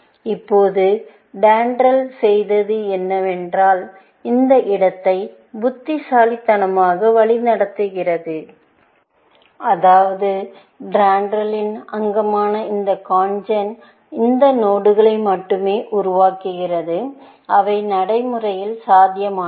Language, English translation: Tamil, Now, what DENDRAL did is that it navigates this space intelligently, in the sense, that this CONGEN, component of DENDRAL, only generates those nodes, which are feasible in practice